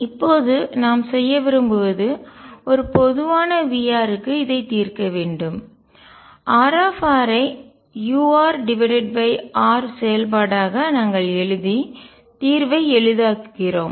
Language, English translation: Tamil, Now, what we want to do now is solve this for a general v r, to facilitate the solution we had written R r as the function u r over r